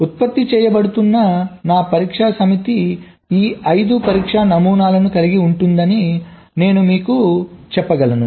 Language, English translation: Telugu, so, as i can say that my test set that is being generated consist of this: five test patterns